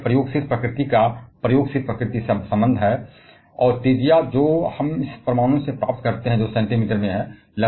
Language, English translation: Hindi, But this an empirical nature nature relation of empirical nature, and the radius that we get from atom that is in centimeter